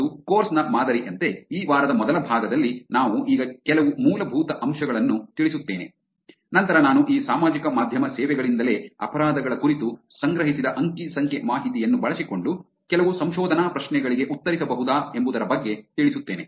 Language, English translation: Kannada, And as the pattern on the course, we will do some basics now in the first part of this week then I will get into some research questions or questions that one could answer using the data that is been collected on crimes from these social media services itself